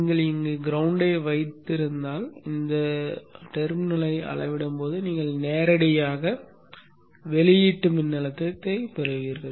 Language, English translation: Tamil, If we keep the ground here then when you measure this node you will get directly the output voltage